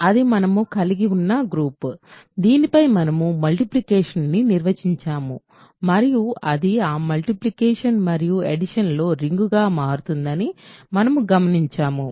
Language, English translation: Telugu, So, that is your underlying group on which we have multiply defined multiplication and we noticed that, it becomes a ring under that multiplication and addition